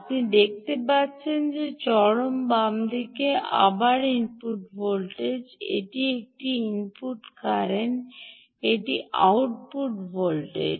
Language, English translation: Bengali, ah, you can see that again, on the extreme left is the input voltage, that this is a input current, this is the output voltage and that is output current meter